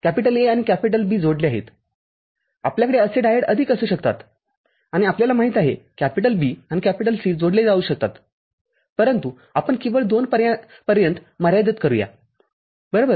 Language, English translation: Marathi, Connected A and B you can have more such diodes and you know a become B and C these will get connected, but let us restrict ourselves to 2 only right